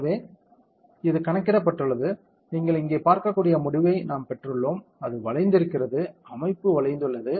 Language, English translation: Tamil, So, it has computed, we have got the result you can see here right now see it has bent, the structure has bent